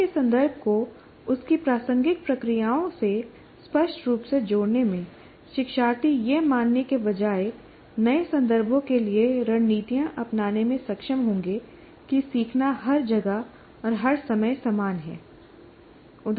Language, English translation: Hindi, It explicitly, in explicitly connecting a learning context to its relevant processes, learners will be able to adopt strategies to new context rather than assume that learning is the same everywhere and every time